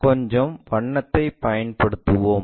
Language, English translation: Tamil, Let us use some color